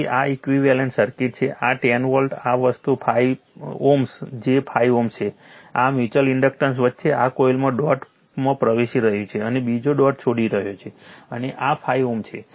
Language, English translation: Gujarati, So, this is the equivalent circuit right, this 10 volt, this thing 5 ohm j 5 ohm, this mutual inductance between, this one is entering the dot in the coil another is leaving the dot and this is 5 ohm